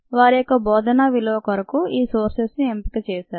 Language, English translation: Telugu, the sources were chosen for their pedagogic value